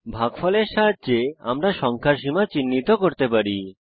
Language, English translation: Bengali, With the help of the quotient we can identify the range of the number